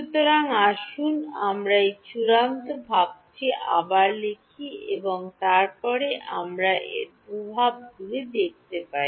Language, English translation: Bengali, So, let us write down this final expression once again and then we can see the implications of it